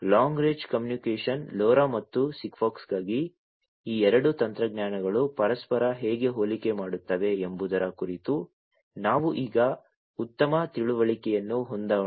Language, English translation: Kannada, So, let us now have a better understanding about how these two technologies for long range communication LoRa and SIGFOX compare with each other